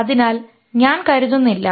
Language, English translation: Malayalam, I don't think so